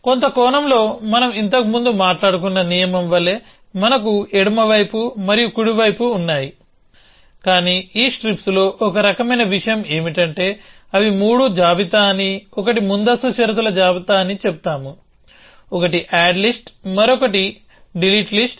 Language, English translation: Telugu, So, in some sense we have the left hand side and the right hand side like in the rule that we talked about earlier, but in this strips kind of a thing, we would say that they are three list, one is a precondition list, one is the add list and one is the delete list